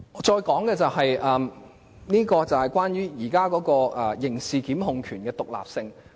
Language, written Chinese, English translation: Cantonese, 接下來，我想談談現時刑事檢控權的獨立性。, Next I want to talk about the independence of criminal prosecution power at present